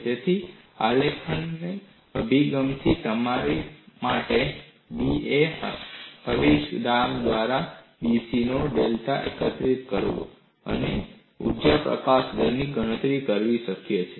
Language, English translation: Gujarati, So, from the graphical approach, it is possible for you to collect the data of dC by da, substitute, and calculate the energy release rate